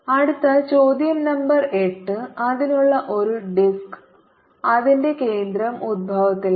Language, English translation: Malayalam, next question number eight: a disc with its centre at the origin